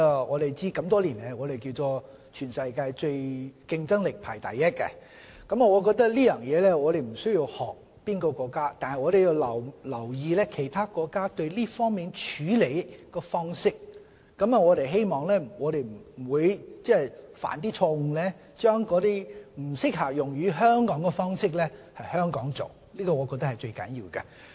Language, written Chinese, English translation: Cantonese, 我們都知道香港多年來在全球競爭力都排名第一，我覺得我們在這方面不需要學習哪個國家，但我們要留意其他國家在這方面的處理方式，希望我們不會誤把不適用於香港的方式在香港使用，我覺得這是最重要的。, We all know that Hong Kong has topped the global competitiveness list for years . I do not think we need to follow other countries in this regard but we must monitor how other countries handle these matters lest we may adopt a wrong model for Hong Kong . I think this is the most important point